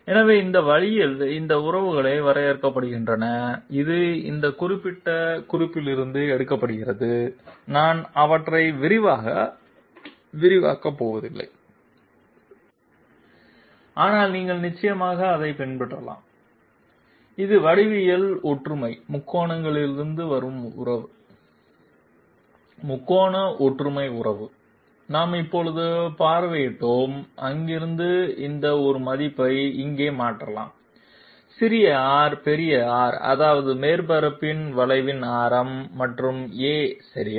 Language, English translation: Tamil, So this way these relations are drawn up, it is taken from this particular reference and I am not going through them in detail but you can definitely follow it and this is the relation which is coming from the geometric similarity triangles, triangular similarity relationship which we visited just now and from there from there this A value can be replaced here in terms of small r, big R that means radius of curvature of the surface and A okay